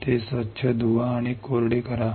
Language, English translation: Marathi, Rinse it and dry